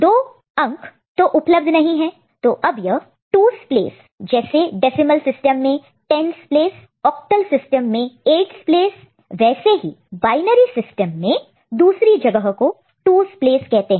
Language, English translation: Hindi, So, the number appearing at units place, and the number appearing at the second place in decimal which is 10’s place in octal that is 8’s place, and in binary it is 2’s place